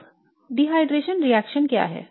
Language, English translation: Hindi, Now what is dehydration reaction